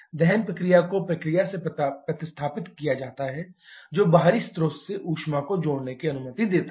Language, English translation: Hindi, The combustion process replaced by process allowing the heat addition from an external source